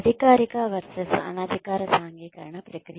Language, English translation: Telugu, Formal versus informal socialization process